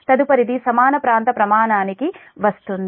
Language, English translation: Telugu, next will come to the equal area criterion